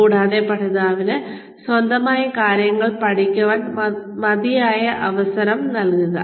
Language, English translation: Malayalam, And, but just give the learner, enough opportunity, to learn things on his or her own